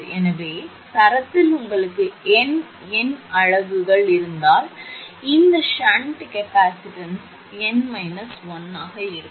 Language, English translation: Tamil, So, if you have n number of units in the string that you will have n minus 1 number of this shunt capacitance